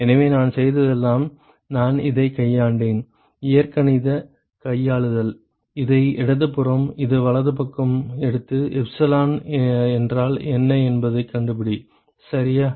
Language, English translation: Tamil, So, all I have done is I have just manipulated this, algebraic manipulation, take this on the left hand side, take this on the right hand side and find out what is epsilon, ok